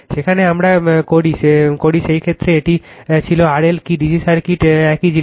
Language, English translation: Bengali, There we do in that case it was R L is equal to what DC circuit similar thing